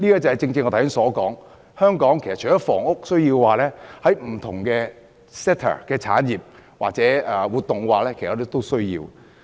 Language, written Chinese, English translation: Cantonese, 這正正是我剛才所說，香港除了有房屋需要，不同 sector、產業或活動也有其發展需要。, This is exactly what I have said just now . Besides housing needs Hong Kong should also cater for the development needs of different sectors industries or activities